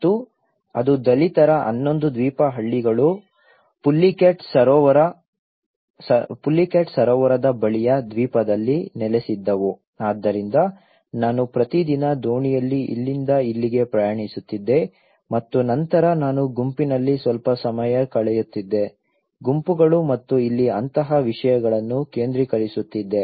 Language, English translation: Kannada, And it was Dalit 11 island 11 villages were settled in an island near the pullicat lake so I used to travel every day by boat from here to here and then I used to spend some time in a group, focus groups and things like that here, even though they were offered as a relocation option but they didnÃt opted for that